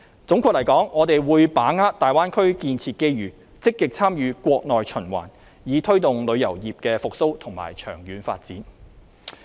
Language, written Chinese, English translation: Cantonese, 總括而言，我們會把握大灣區建設機遇，積極參與國內循環，以推動旅遊業的復蘇和長遠發展。, All in all we will grasp the opportunity of developing the Greater Bay Area and take a proactively stance in participating in Mainlands domestic circulation with a view to promoting the recovery and long - term development of the tourism industry